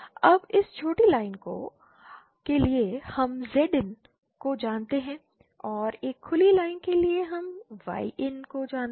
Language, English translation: Hindi, Now for this shorted line we know Zin and for a open line we know Yin